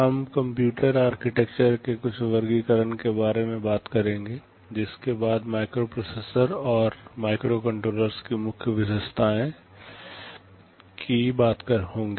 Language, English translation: Hindi, We shall be talking about some classification of computer architectures, followed by the main characteristic features of microprocessors and microcontrollers